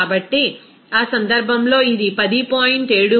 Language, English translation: Telugu, So, in that case, it will be 10